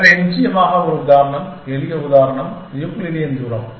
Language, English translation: Tamil, So, one of course example is, simple example is the Euclidean distance